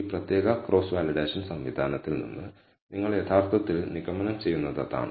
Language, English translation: Malayalam, That is what you actually conclude from this particular cross validation mechanism